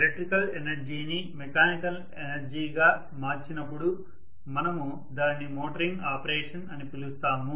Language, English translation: Telugu, When electrical energy is converted into mechanical energy we call that as motoring operation